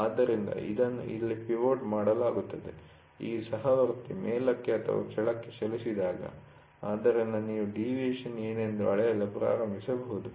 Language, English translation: Kannada, So, this is pivoted here, when this fellow moves up or down, so you can start measuring what is a deviation